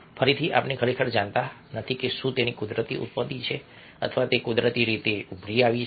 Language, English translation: Gujarati, again, we don't really know if, whether it's a, it has a natural origin or how did it naturally emerge